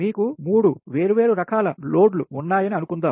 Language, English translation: Telugu, suppose you have three different type of loads are there